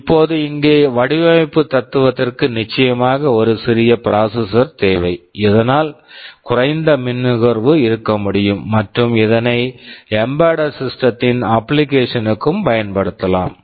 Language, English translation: Tamil, Now the design philosophy here was of course , first thing is that we need a small processor so that we can have lower power consumption and can be used for embedded systems application